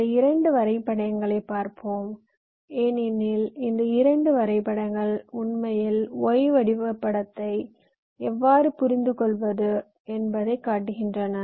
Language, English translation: Tamil, lets look at these two diagrams, because these two diagrams actually show how we can interpret the y diagram